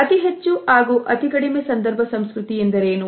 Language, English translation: Kannada, What is high and low context culture